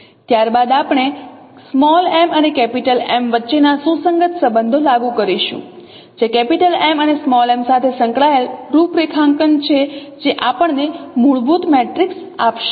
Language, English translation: Gujarati, Then we will apply the corresponding relations between m and m which will or expressions involving m and m which will give us fundamental matrix